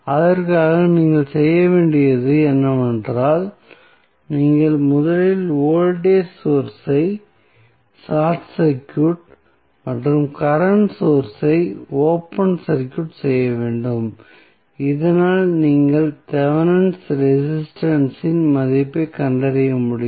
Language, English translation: Tamil, So, for that what you have to do, you have to first short circuit the voltage source and open circuit the current source so, that you can find out the value of Thevenin resistance